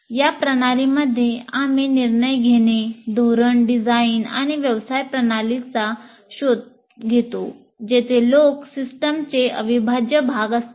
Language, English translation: Marathi, So, in systems where you are modeling, you are exploring decision making, policy design, and in business, where people are integral parts of the systems